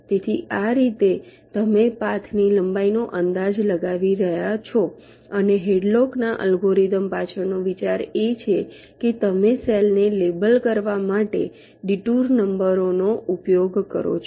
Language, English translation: Gujarati, ok, so this is how you are estimating the length of the path and the idea behind hadlock algorithm is that you use the detour numbers to label the cells